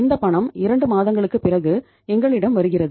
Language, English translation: Tamil, This money is coming to us after 2 months